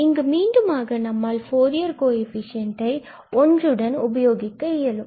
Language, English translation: Tamil, And these are exactly the Fourier coefficients of the function f